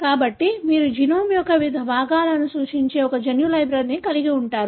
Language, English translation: Telugu, So, you have a genomic library that represents different segments of the genome